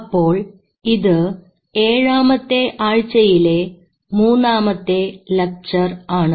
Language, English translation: Malayalam, So this is our lecture 3 and this is week 7